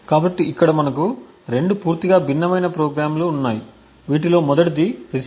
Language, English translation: Telugu, So over here we have 2 completely different programs one is known as the receiver